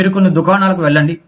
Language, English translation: Telugu, You go to some shops